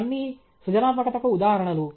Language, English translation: Telugu, All these are instances of creativity